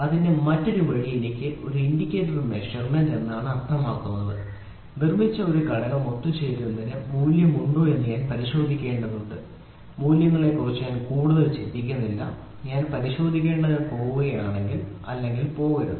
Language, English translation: Malayalam, The other way round of it I just have to say an indicator measurement, indicator measurement means I just have to check whether this component which is manufactured is worth for assembling or not I am least bothered about the values, I just have to check whether the shaft is if it is go, if it is not do not go